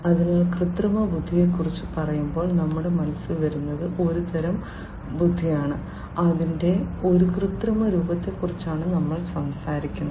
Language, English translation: Malayalam, So, when we talk about artificial intelligence, what comes to our mind, it is some form of intelligence, we are talking about an artificial form of it